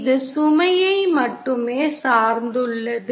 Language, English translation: Tamil, It only depends on the load